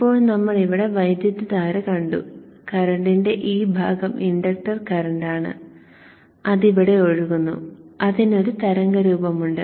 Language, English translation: Malayalam, Now we saw the current here this was the inductor current that portion of the inductor current which is flowing through here and it had a waveform which is like this